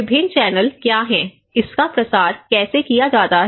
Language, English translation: Hindi, And what are the various channels, how this is disseminated